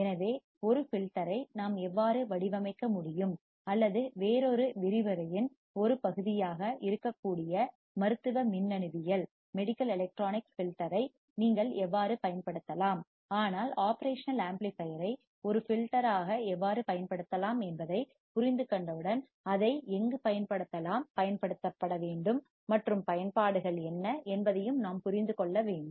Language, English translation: Tamil, So, how can we design a filter or how you can use the filter in medical electronics that can be a part of another lecture itself, but we need to understand that once we understand how we can use operational amplifier as an filter then where it can be used and what are the applications